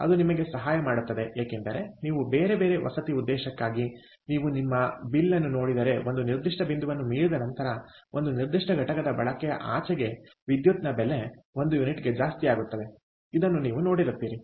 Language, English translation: Kannada, it is going to help because you know that if you for different residential purpose, if you look at your bill, you will see that beyond a certain point, ah, beyond a certain units of usage, ah, the electricity, the cost of electricity per unit, goes up